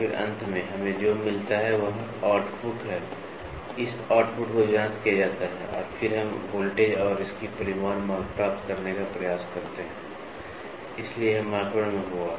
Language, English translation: Hindi, And then finally, what we get is the output, this output is calibrated and then we try to get what is the voltage what is the magnitude, so this will be in microns